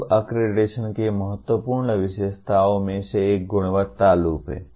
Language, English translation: Hindi, Now, one of the important features of accreditation is the Quality Loop